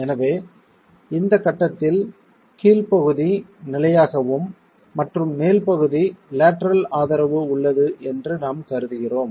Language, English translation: Tamil, So, we are assuming that the bottom is fixed at the stage and the top there is a lateral support